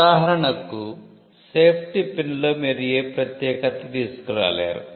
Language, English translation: Telugu, For instance, in a safety pin there is not much uniqueness you can bring